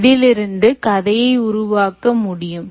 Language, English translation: Tamil, so this: i can build the story from here